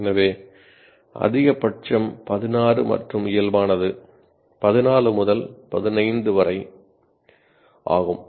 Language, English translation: Tamil, So the maximum is 16 and normally it is about 14 to 15